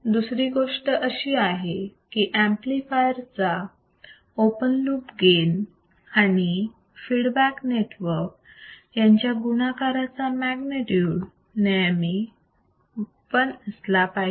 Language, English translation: Marathi, So, magnitude of the product of open loop gain of the amplifier and the feedback network should always be equal to 1